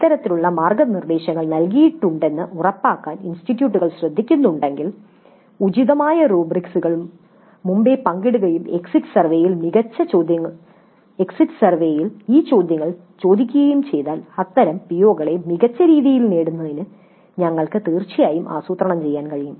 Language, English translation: Malayalam, So, if the institutes take care to ensure that these kind of guidelines are provided, appropriate rubrics are shared up front and then these questions are asked in the exit survey, then we can definitely plan for better attainment of such POs